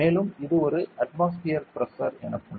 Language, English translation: Tamil, And this is called 1 atmospheric pressure